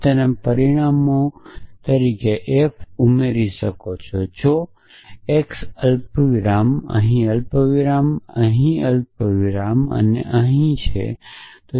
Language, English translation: Gujarati, So, you could add f as a parameters so x comma f here comma f here comma f here